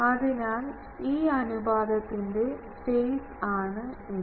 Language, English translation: Malayalam, So, this is the phase of this ratio